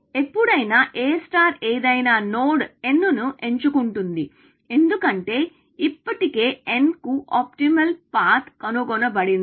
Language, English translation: Telugu, Whenever, A star picks some node n, because already found an optimal path to n